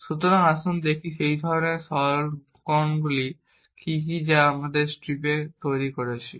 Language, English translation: Bengali, So, let us see what are those kind simplifications that we are making in strips